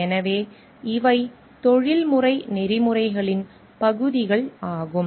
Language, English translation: Tamil, So, these are parts of professional ethics